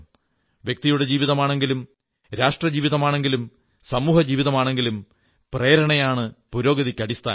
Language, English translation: Malayalam, Whether it is the life of a person, life of a nation, or the lifespan of a society, inspiration, is the basis of progress